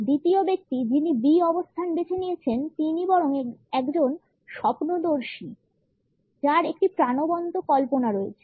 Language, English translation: Bengali, The second person with the position B is rather a dreamer who happens to have a vivid imagination